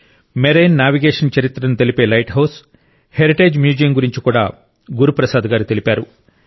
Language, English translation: Telugu, Guru Prasad ji also talked about the heritage Museum of the light house, which brings forth the history of marine navigation